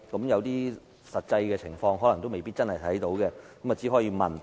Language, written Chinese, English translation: Cantonese, 一些實際情況可能未必得見，我們只可以發問。, We may not be able to see the actual situations and we can only ask questions about them